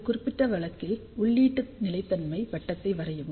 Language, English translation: Tamil, So, in this particular case draw input stability circle